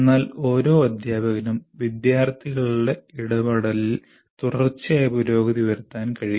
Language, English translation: Malayalam, But every teacher can make do with continuous improvement in student interaction